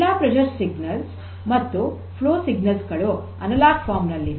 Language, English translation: Kannada, So, all the pressure sensor pressure signals and the flow signals are in analog form